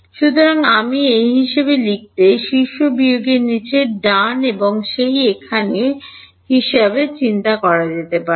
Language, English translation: Bengali, So, I write this as top minus bottom right and this over here can be thought of as